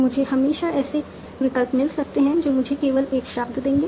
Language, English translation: Hindi, I can always find options that will only give me one word